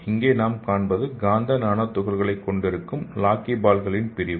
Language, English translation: Tamil, We can see here this is the section of lockyballs which is having magnetic nanoparticles inside this